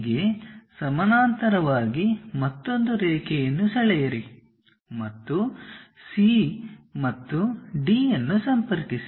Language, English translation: Kannada, Now, parallel to B C from A draw one more line D and connect C and D